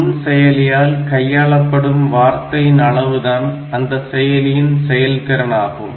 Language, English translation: Tamil, The number of bits in a microprocessor word is a measure of its abilities